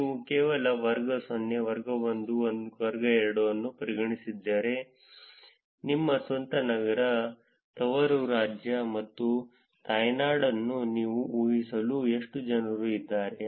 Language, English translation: Kannada, If you just consider the class 0, class 1 and class 2, how many people are actually where you can infer home city, home state, and home country